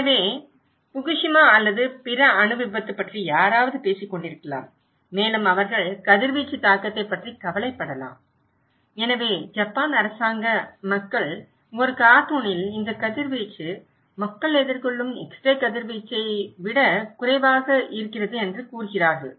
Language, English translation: Tamil, So, somebody may be talking about Fukushima or other nuclear accident and they may be worried about the radiation impact and so these government people, Japan government people in a cartoon is saying that the radiation, the way people are exposed actually is lesser than when they are having x ray